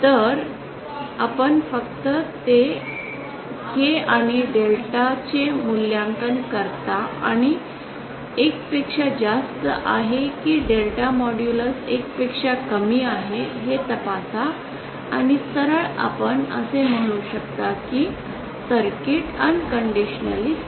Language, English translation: Marathi, So given the S parameters of a circuit you simply evaluate K and delta and check whether K is greater than 1 or delta modulus is lesser than 1 then straight away you can say that the circuit is unconditionally stable